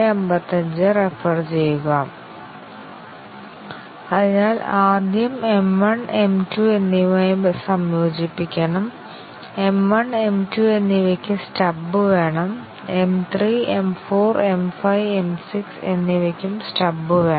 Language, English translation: Malayalam, So we need stub for with M 1 and M 2, we need stub for M 3, M 4, M 5 and M 6